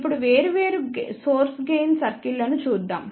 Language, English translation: Telugu, Now, let us see different source gain circles